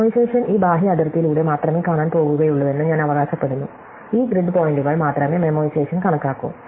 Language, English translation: Malayalam, So, memoriation, I claim, is only going to look along this outer boundary, only these grid points will actually be computed by memoization